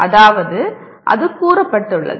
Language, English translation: Tamil, That means that is stated